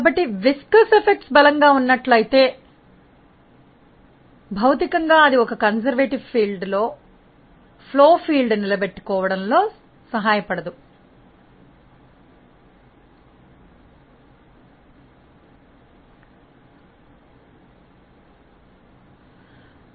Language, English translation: Telugu, So, if viscous effects are strong then physically it may not help in retaining the flow field as a conservative field